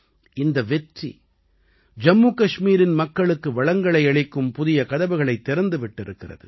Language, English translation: Tamil, This success has opened new doors for the prosperity of the people of Jammu and Kashmir